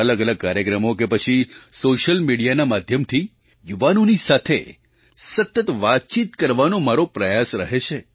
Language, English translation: Gujarati, My effort is to have a continuous dialogue with the youth in various programmes or through social media